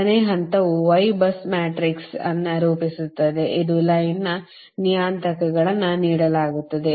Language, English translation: Kannada, second step is form the y bus matrix, that is, line parameters are given